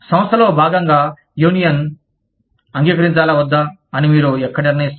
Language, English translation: Telugu, Where do you decide, whether the union should be accepted, as a part of the organization